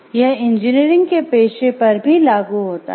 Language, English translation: Hindi, This applies to engineering profession as well